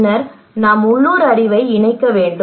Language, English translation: Tamil, And then we need to incorporate local knowledge